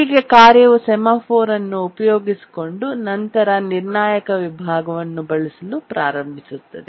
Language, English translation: Kannada, So the task invokes the semaphore and then starts using the critical section